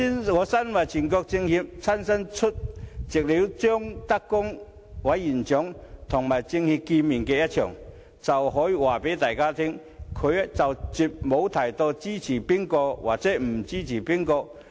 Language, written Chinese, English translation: Cantonese, 我身為全國政協委員，親身出席了張德江委員長與政協會面的會議，我可以告訴大家，他絕無提及支持誰或不支持誰。, As a CPPCC member I have personally attended the meeting between ZHANG Dejiang Chairman of the Standing Committee of the NPC NPCSC and CPPCC members and I can tell everyone that he has not said a word about who he supports or does not support